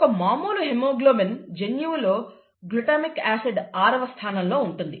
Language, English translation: Telugu, In a normal haemoglobin gene, there is a glutamic acid in the sixth position